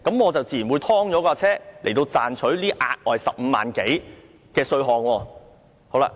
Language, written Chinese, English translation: Cantonese, 我自然會把車輛"劏"掉，賺取這額外的15萬元多稅項。, In that case I will naturally scrap my old vehicle so as to benefit from the tax exemption of 150,000